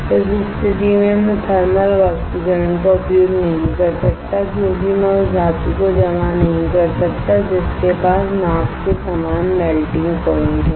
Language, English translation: Hindi, In that case Icannot use thermal evaporater because I cannot deposit the metal which has a melting point similar to the melting point of boat